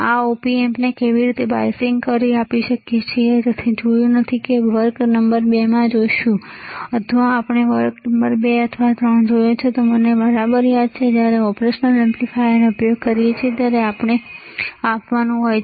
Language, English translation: Gujarati, How we can give biasing to this op amp, we have not seen we will see in the class number 2, or we have seen the class number 2 or 3 if I correctly remember, that when we use an operational amplifier, we have to give a bias voltage